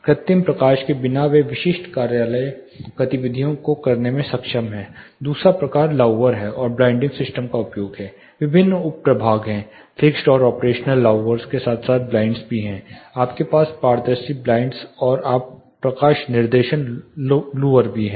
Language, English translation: Hindi, Without artificial light they are able to perform typical office activity the second type is use of louvers and blind system different sub divisions are there fixed and operable louvers as well as blinds you are translucent blinds and you have light directing louvers